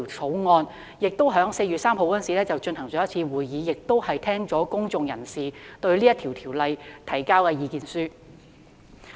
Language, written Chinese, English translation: Cantonese, 法案委員會在4月3日與當局舉行了1次會議，並已邀請公眾人士就《條例草案》提交意見書。, The Bills Committee held one meeting with the Administration on 3 April and it had also invited written views from the public on the Bill